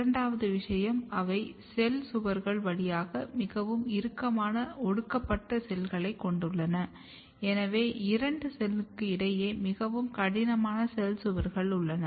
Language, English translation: Tamil, Second thing that they have a very tightly glued cells through the cell walls, so they are very rigid cell walls present between two cells